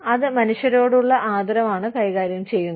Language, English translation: Malayalam, It deals with, respect for human beings